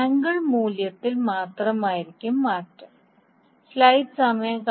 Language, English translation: Malayalam, The only change will be the angle value